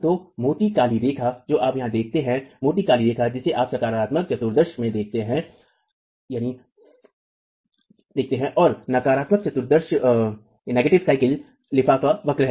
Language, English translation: Hindi, So the thick black line that you see here, the thick black line that you see in the positive quadrant and the negative quadrant is the envelope curve